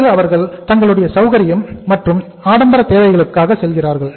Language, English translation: Tamil, After that they go for the comforts and then they go for the luxury